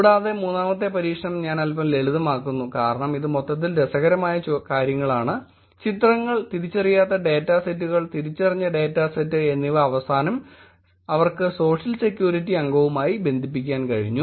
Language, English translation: Malayalam, And I am keeping the third experiment little light because this is in total the interesting things were pictures, un identified data sets, identified data set and at the end they were able actually do connected to social security member also